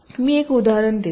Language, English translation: Marathi, let let me give an example